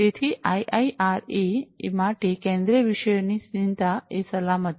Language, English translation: Gujarati, So, for the IIRA one of the central thematic concerns is the safety